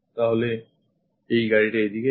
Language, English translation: Bengali, So, the car goes in that way